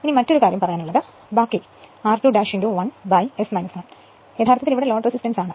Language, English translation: Malayalam, And this other thing rest of the thing r 2 dash into 1 upon S minus 1 actually it is load resistance here right